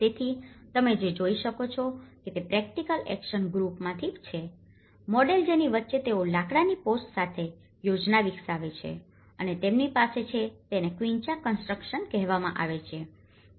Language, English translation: Gujarati, So, what you can see is from the practical action groups, the model they developed the plan with the timber posts in between and they have this is called quincha construction